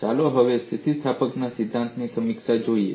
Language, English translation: Gujarati, Let us now look at review of theory of elasticity